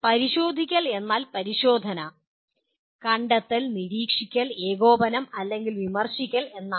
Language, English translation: Malayalam, Checking means testing, detecting, monitoring, coordinating or critiquing